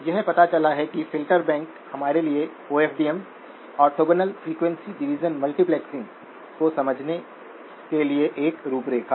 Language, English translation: Hindi, It turns out that filter banks are a framework for us to understand OFDM, orthogonal frequency division multiplexing